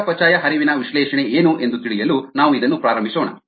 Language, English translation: Kannada, to know what metabolic flux analysisall about, let us start with this